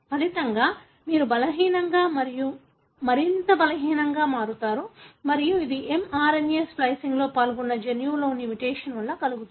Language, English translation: Telugu, As a result, you become weak and weaker and this is caused by mutation in a gene that is involved in mRNA splicing